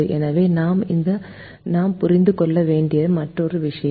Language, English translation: Tamil, so this is another thing that we need to understand